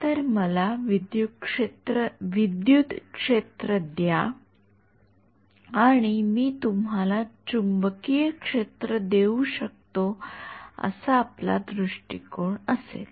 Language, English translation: Marathi, So, give me the electric field and I can give you the magnetic field that is going to be the approach ok